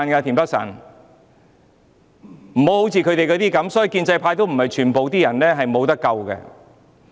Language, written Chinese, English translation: Cantonese, 田北辰議員，還有時間，建制派也不是全部都"無得救"。, Mr Michael TIEN there is still time and not the entire pro - establishment camp is hopeless